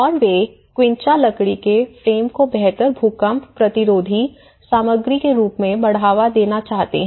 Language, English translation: Hindi, And they want to promote the quincha timber frame instead to be as a better earthquake resistant material